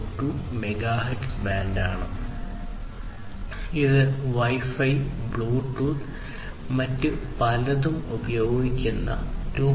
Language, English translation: Malayalam, 4 Gigahertz band that is used by Wi Fi, Bluetooth and different other protocols and standards